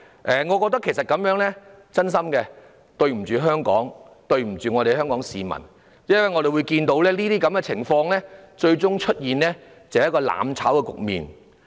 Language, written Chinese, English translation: Cantonese, 我真心覺得這樣的行為對不起香港，對不起香港市民。因為我們看到，這些情況最終會導致一個"攬炒"的局面。, I truly think that such acts have failed Hong Kong and the people of Hong Kong because we see that such situations will culminate in a burning together scenario